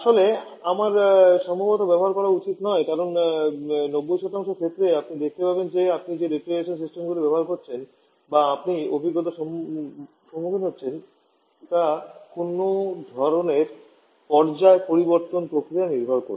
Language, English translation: Bengali, In fact, I should not use probably, because in 90% cases for you will find that the refrigeration systems that you are dealing with your experiencing is based upon some kind of phase change process